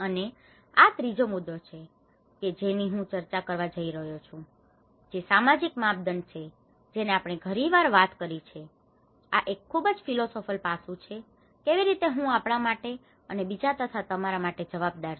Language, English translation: Gujarati, And this is the third point which I am going to discuss is more often we talk about the social dimension, this is more of a very philosophical aspect, how I is accountable for we and others and yours